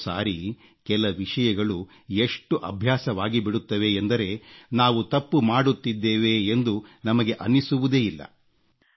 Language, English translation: Kannada, Sometimes certain things become a part of our habits, that we don't even realize that we are doing something wrong